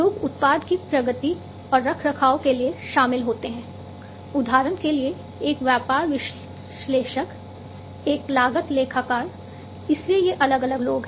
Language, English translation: Hindi, People aspects many people are involved to progress and maintain a product, example a business analyst, a cost accountant, so these are the different people aspects